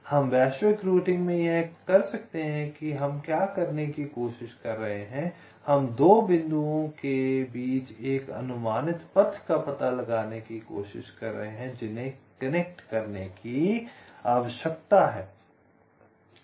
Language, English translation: Hindi, we could, in global routing, what we are trying to do, we are trying to find out an approximate path between two points that are require to be connected